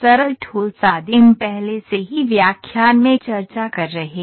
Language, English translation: Hindi, So, here simple solid primitives are already discussed in the previous lectures